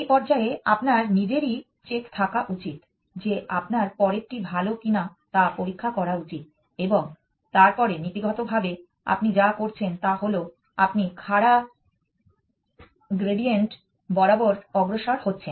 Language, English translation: Bengali, You should have the check at this stage itself that you should check whether next is better and then only move to the next in principle what you are doing is you are moving along the steepest gradient